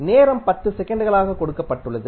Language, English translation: Tamil, Time is given as 10 seconds